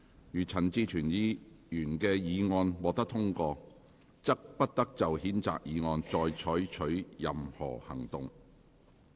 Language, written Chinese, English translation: Cantonese, 如陳志全議員的議案獲得通過，即不得就譴責議案再採取任何行動。, If Mr CHAN Chi - chuens motion is agreed by the Council no future action shall be taken on the censure motion